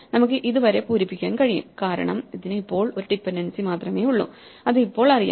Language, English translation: Malayalam, So, we can fill up this, because this has only one dependency which is known now